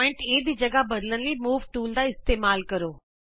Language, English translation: Punjabi, Use the Move tool to move the point A